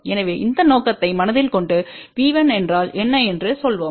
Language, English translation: Tamil, So, with that objective in mind let us say what is V 1